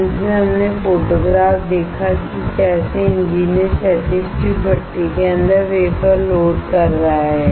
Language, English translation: Hindi, Finally, we saw the photograph of how the engineer is loading the wafer inside the horizontal tube furnace